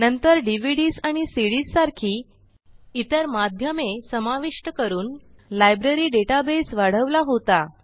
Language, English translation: Marathi, Later, the library expanded to have other media such as DVDs and CDs